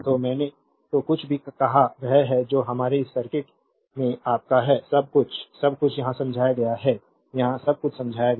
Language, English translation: Hindi, So, whatever I said that is your in the our this circuit everything, everything is explained here, everything is explained here